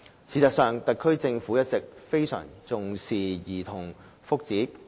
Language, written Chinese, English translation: Cantonese, 事實上，特區政府一直非常重視兒童福祉。, As a matter of fact the SAR Government has all along attached great importance to childrens well - being